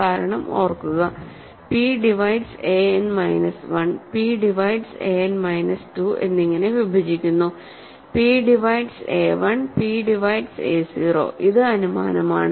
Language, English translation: Malayalam, Because, remember, p divides a n minus 1, p divides a n minus 2 and so on all the way up to p divides a 1 p divides a 0